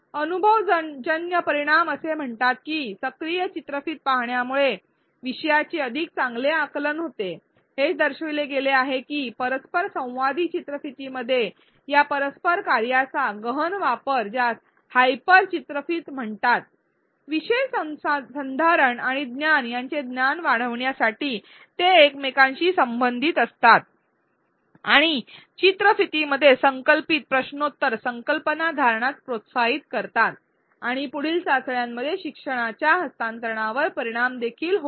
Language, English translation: Marathi, The empirical results say that active video watching leads to better comprehension of the topic, it has been shown that intensive use of these interactive functions in interactive videos these are called hyper videos, they are correlated to increase knowledge of the topic retention and knowledge and quizzes interpolated within a video promote retention of concepts and have also been shown to affect transfer of learning in further tests